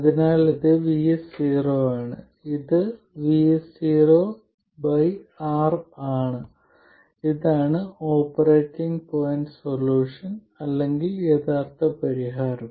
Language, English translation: Malayalam, So this is Vs 0 and this is Vs 0 by R and this is the operating point solution or the original solution